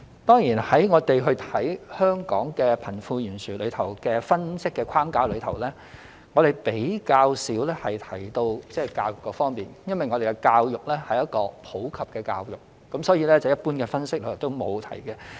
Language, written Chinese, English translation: Cantonese, 當然，我們在分析香港貧富懸殊的框架中，比較少提到教育方面，因為我們的教育是普及教育，所以一般分析也沒有提及。, Of course we seldom touch on the education front in our analysis drawn within the framework Hong Kongs wealth gap . It is not mentioned in general analyses because of the universal education adopted here in Hong Kong